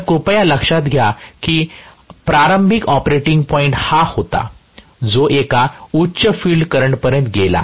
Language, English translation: Marathi, So, please note the initial operating point was this from that it went to a higher field current